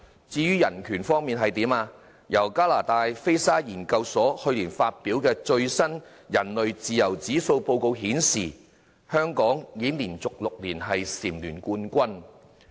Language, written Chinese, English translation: Cantonese, 至於人權方面，加拿大菲沙研究所去年發表的最新人類自由指數報告顯示，香港已經連續6年蟬聯冠軍。, As regards human rights the Human Freedom Index released last year by the Fraser Institute of Canada indicated that Hong Kong enjoyed the top position for the sixth consecutive year